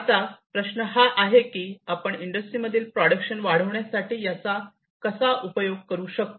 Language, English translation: Marathi, Now, the question is that how we can use it for increasing the productivity in the industries